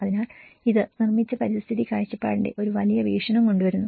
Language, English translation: Malayalam, So, this brings a larger perspective of the built environment perspective